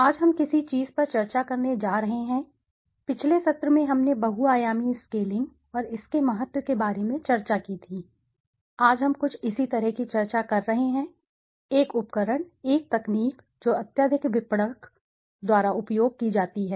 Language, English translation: Hindi, Today, we are going to discuss on something, in the last session we discussed about multi dimensional scaling and its importance, today we are discussing something similar, a tool, a technique which is highly utilized by marketers